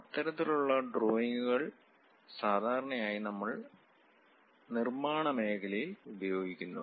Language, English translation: Malayalam, And that kind of drawings usually we circulate across this production line